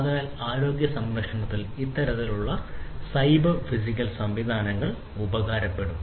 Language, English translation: Malayalam, So, that is where you know in healthcare this kind of cyber physical systems can be useful